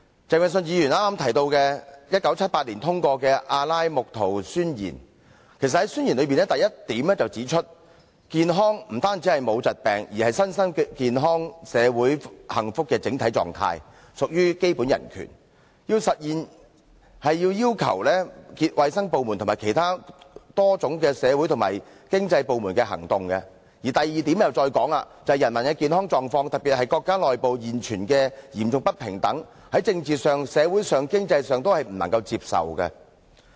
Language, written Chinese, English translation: Cantonese, 鄭泳舜議員剛才提到1978年通過的《阿拉木圖宣言》，其實宣言中的第一點便指出，健康不單是沒有疾病，而是身心健康社會幸福的整體狀態，屬基本人權，其實現是要求衞生部門及其他多種社會和經濟部門的行動；而第二點指出，人民的健康狀況，特別是國家內部現存的嚴重不平等，在政治上、社會上及經濟上均不能接受。, Mr Vincent CHENG just mentioned the Declaration of Alma - Ata endorsed in 1978 . In fact the first section of the Declaration points out that health which is a state of complete physical mental and social well - being and not merely the absence of disease is a fundamental human right and the realization requires the action of many other social and economic sectors in addition to the health sector . The second section says that the existing gross inequality in the health status of the people particularly within countries is politically socially and economically unacceptable